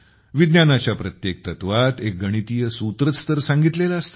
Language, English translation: Marathi, Every principle of science is expressed through a mathematical formula